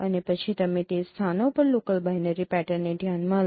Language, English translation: Gujarati, And then you consider the local binary patterns, binary pattern at those positions